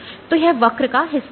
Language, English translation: Hindi, So, this portion of the curves